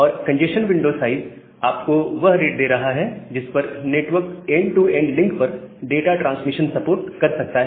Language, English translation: Hindi, And the congestion window size that is giving the rate at which the network can support transmission of data over the end to end links